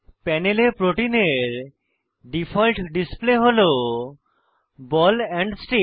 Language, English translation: Bengali, The default display of the protein on the panel, is ball and stick